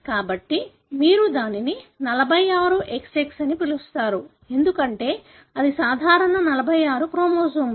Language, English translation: Telugu, So, you call it as 46 XX, because that is normal 46 chromosomes